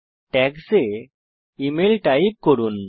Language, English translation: Bengali, In Tags type email